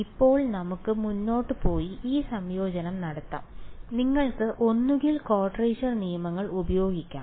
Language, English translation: Malayalam, Now we can go ahead and do this integration and you can either use quadrature rules